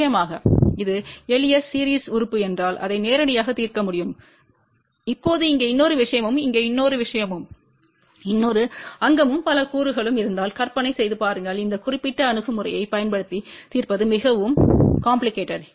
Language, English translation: Tamil, Of course, we can solve it directly if it was simple series element but now, imagine if it had a another thing here another here, another there and multiple elements are there then solving using this particular approach will become very very complicated